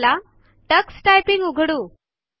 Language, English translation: Marathi, Lets open Tux Typing